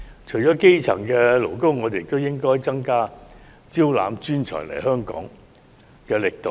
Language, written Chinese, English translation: Cantonese, 除基層勞工外，我們亦應增加招攬專才來港措施的力度。, Apart from grass - roots workers we should also make greater efforts to attract expert talents to Hong Kong